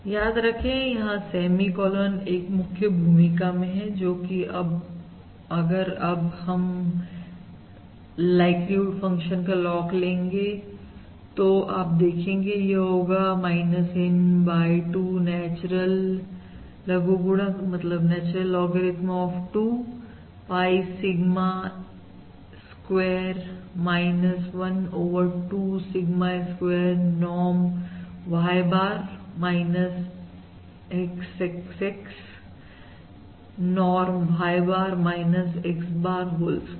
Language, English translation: Hindi, Remember that semi colon plays an important role, which is now, if you take the logarithm of the above likelihood function, you can see this is minus N by 2, natural logarithm of 2 pie Sigma square minus1 over 2 Sigma square norm Y bar minus X X X norm Y bar minus X H bar, whole square, Correct